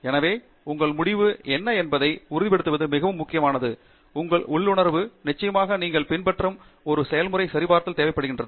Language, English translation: Tamil, So, that conviction of what your result has is very important and that requires a combination of your intuition, and of course, a procedure that you have followed, and of course, with validation